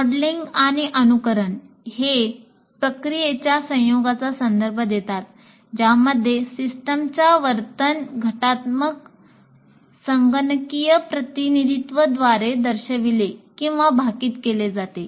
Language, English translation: Marathi, And modeling and simulation are referred to a combination of processes in which a system's behavior is demonstrated or predicted by a reductive computational representation